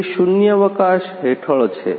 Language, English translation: Gujarati, That is under the vacuum